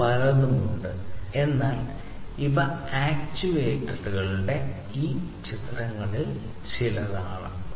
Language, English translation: Malayalam, There are many others, but these are some of these pictures of actuators